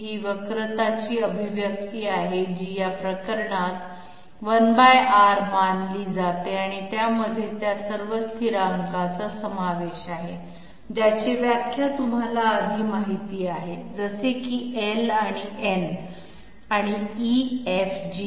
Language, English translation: Marathi, This is the expression of the curvature which is taken to be 1 by R in this case and it contains all those constants which have been you know defined previously like L and N and E, F, G